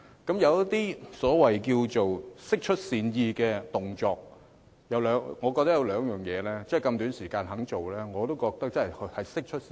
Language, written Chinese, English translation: Cantonese, 她有一些釋出善意的行動，其中有兩點她在如此短時間內也願意做，我覺得真的是釋出善意。, She has taken actions that are considered a gesture of goodwill . Among others two of the things she has done within a very short period of time to me show her goodwill